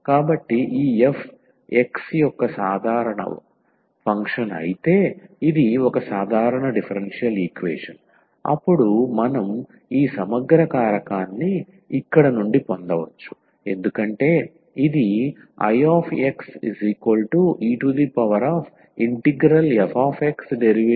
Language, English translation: Telugu, So, this is a simple differential equation if this f x is a simple function, then we can get this integrating factor from here as because this is a logarithmic of I is equal to this integral of f x dx